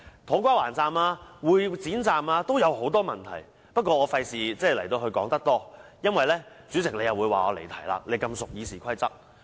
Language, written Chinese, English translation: Cantonese, 土瓜灣站和會展站都有很多問題，但我不會多說，以免主席你說我離題——你這麼熟悉《議事規則》。, There are many problems with To Kwa Wan Station and Exhibition Centre Station as well but I am not going into detail about them or else you the President will say that I am straying from the subject―you are so familiar with the Rules of Procedure